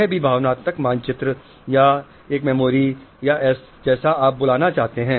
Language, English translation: Hindi, This is also a sort of emotional map or a memory or whatever you want to call it